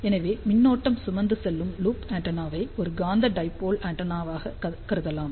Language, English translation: Tamil, So, a current carrying loop antenna can be thought of as a magnetic dipole antenna